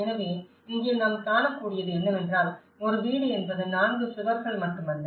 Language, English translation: Tamil, So here, what we are able to see is that it is not just the four walls which a house is all about